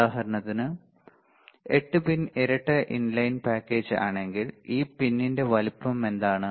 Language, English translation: Malayalam, If for example, 8 pin dual inline package, what is this size of this pin